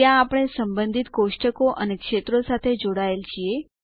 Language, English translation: Gujarati, There, we have connected the related tables and fields